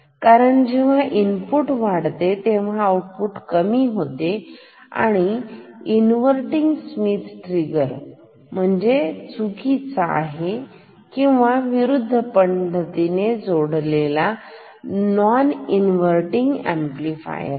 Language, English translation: Marathi, Because when input increases, output decreases this is called an inverting Schmitt trigger which is nothing, but wrongly or oppositely connected non inverting amplifier ok